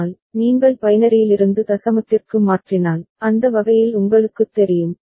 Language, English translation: Tamil, But, the count value if you convert from binary to decimal and you know, in that manner